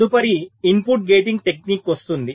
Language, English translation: Telugu, ok, next comes the input gating technique